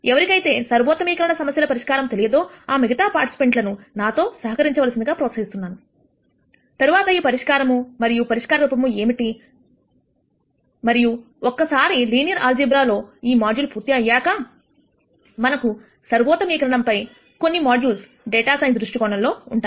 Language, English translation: Telugu, For other participants who do not know how to solve optimization problems, I would encourage you to just bear with me and then go through this solution and see what the solution form is and once this module on linear algebra is finished we will have a couple of modules on optimization from the viewpoint of data science